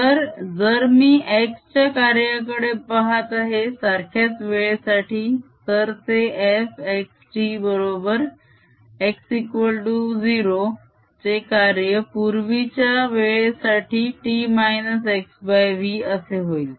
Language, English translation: Marathi, then if i am looking at function at x, the same time, it would be: f x t is equal to function at x, equal to zero at a previous time, p minus x over v